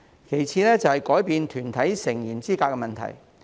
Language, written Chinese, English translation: Cantonese, 其次，是改變團體成員資格問題。, The second issue is the revision to the eligibility of body electors